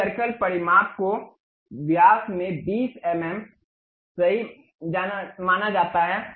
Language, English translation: Hindi, This circle dimension supposed to be correct 20 mm in diameter